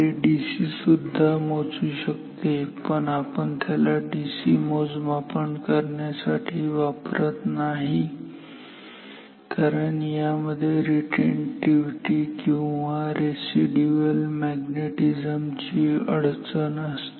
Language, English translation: Marathi, In principle it can measure DC, but we do not use this for DC measurement because of the retentivity or residual magnetism problem which we have discussed before ok